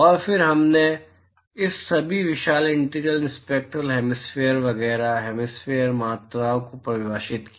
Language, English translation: Hindi, And, then we defined the all this huge integrals spectral hemispherical etcetera hemispherical quantities